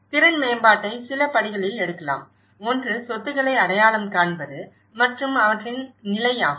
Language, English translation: Tamil, The capacity building can be taken in few steps; one is the identification of assets and their condition